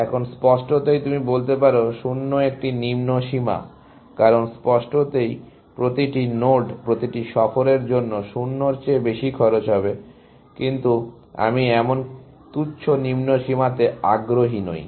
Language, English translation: Bengali, Now obviously, you can say 0 is a lower bound, because definitely, every node, every tour will have cost greater than 0, but I am not interested in such a trivial lower bound